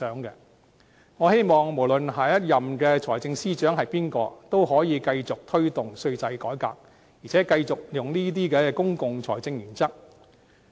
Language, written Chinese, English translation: Cantonese, 不論下任財政司司長是誰，我都希望他可以繼續推動稅制改革，並繼續採用這些公共財政原則。, No matter who will be next Financial Secretary I hope that he can continue to promote the reform in tax regime and adopt these principles in public finance